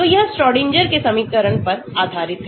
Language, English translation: Hindi, So, they are all based on Schrodinger's equation